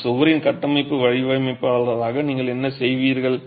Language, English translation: Tamil, As the structural designer of that wall, what would you do